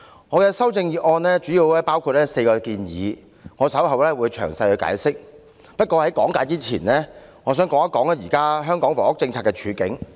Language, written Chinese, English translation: Cantonese, 我的修正案主要包括4個建議，我稍後會作詳細解釋，不過，在講解前，我想談談現時香港房屋政策的處境。, There are mainly four suggestions in my amendment . I will elaborate them in a minute . However before I do so I would like to say something about the current Hong Kong housing policy